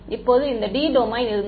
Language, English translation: Tamil, Now this domain was capital D